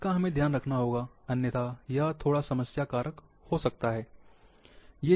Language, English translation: Hindi, This care must be taken, otherwise it may become little problematic